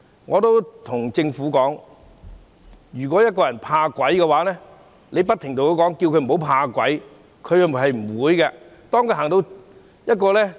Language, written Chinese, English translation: Cantonese, 我對政府說，一個人如果怕鬼，你不停叫他不要怕鬼，他是做不到的。, I have told the Government that if someone is afraid of ghosts he will not stop such fear even if you tell him to do so